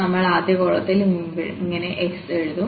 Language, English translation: Malayalam, So, we will write down in the first column as x